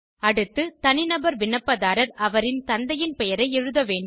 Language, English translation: Tamil, Next, Individual applicants should fill in their fathers name